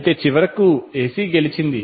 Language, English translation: Telugu, Eventually AC won